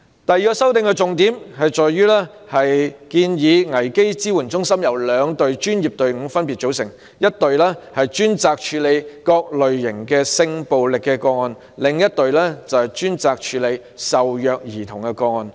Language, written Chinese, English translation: Cantonese, 修正案的第二個重點是建議危機支援中心由兩隊專業隊伍組成，一隊專責處理各類型性暴力個案，另一隊則專責處理受虐兒童個案。, As for the second main point of the amendment it is proposed that a crisis support centre should be formed with two professional teams one dedicated to handling various types of sexual violence cases whereas the other dedicated to handling child abuse cases